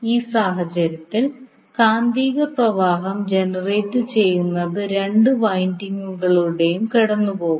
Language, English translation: Malayalam, And the magnetic flux in that case, generated will goes through the both of the windings